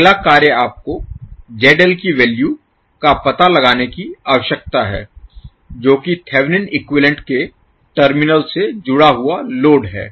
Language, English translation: Hindi, Next task is you need to find out the value of ZL, which is the load connected across the terminal of the Thevenin equivalent